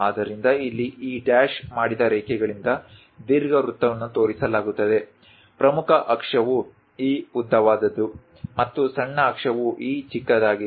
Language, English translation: Kannada, So, here ellipse is shown by these dashed lines; the major axis is this longest one, and the minor axis is this shortest one